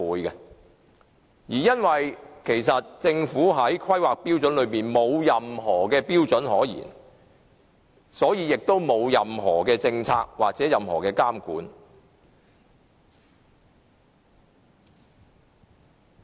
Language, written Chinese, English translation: Cantonese, 由於政府的《規劃標準》沒有訂立相關標準，所以沒有任何相關政策或監管。, As no relevant standards have been set in HKPSG there are no relevant policies or monitoring